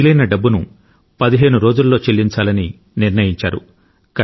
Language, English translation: Telugu, It had been decided that the outstanding amount would be cleared in fifteen days